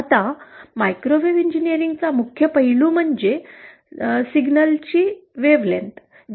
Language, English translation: Marathi, Now the key aspect of microwave engineering is the wavelength of the signal